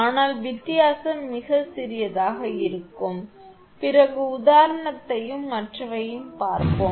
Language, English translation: Tamil, But difference will be too small later we will see the example and other thing